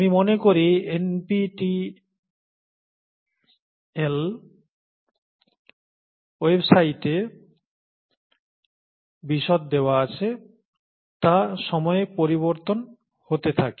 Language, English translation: Bengali, I think the details are given in the NPTEL website, they keep changing from time to time